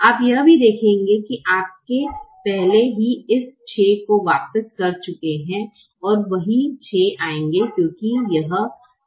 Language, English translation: Hindi, you will also observed that you have already return this six here and the same six will come because this six is also twenty four divided by four